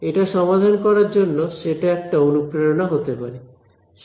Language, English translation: Bengali, So, that can be a motivation for solving this